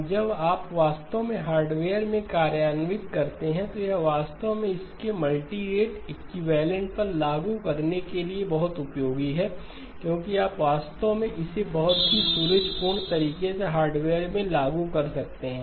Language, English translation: Hindi, Now when you actually implemented in hardware, it is very useful to actually drop on the multirate equivalent of this because you can actually implement it in the hardware in a very elegant manner